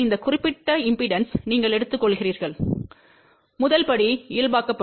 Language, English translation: Tamil, You take this particular impedance, the first step would be to normalized